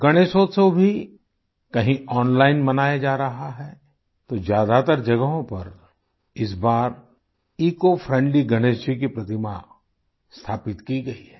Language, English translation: Hindi, Even Ganeshotsav is being celebrated online at certain places; at most places ecofriendly Ganesh idols have been installed